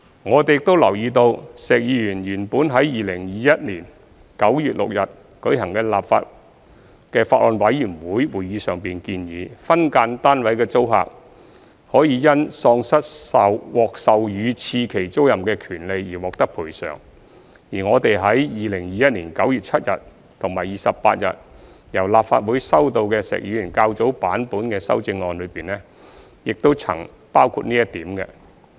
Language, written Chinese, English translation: Cantonese, 我們亦留意到，石議員原本於2021年9月6日舉行的法案委員會會議上建議，分間單位的租客可因喪失獲授予次期租賃的權利而獲得賠償，而我們於2021年9月7日及28日由立法會收到的石議員較早版本的修正案中，亦曾包括這點。, We also notice that Mr SHEK originally proposed at the Bills Committee meeting held on 6 September 2021 that SDU tenants should be compensated for the loss of the right of second term tenancy entitlement . This was also included in the earlier version of Mr SHEKs amendments that we received from the Legislative Council on 7 and 28 September 2021